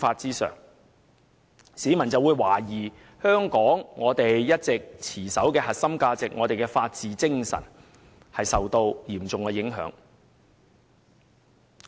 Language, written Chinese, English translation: Cantonese, 市民可能會懷疑，香港一直持守的核心價值和法治精神已受到嚴重影響。, Members of the public may suspect that the core values and spirit of the rule of law which Hong Kong has all along been upholding have been seriously undermined